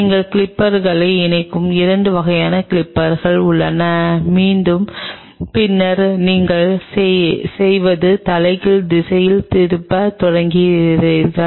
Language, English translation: Tamil, There are 2 kinds of like clippers you attach the clippers and then what you do is start to twist it in reverse direction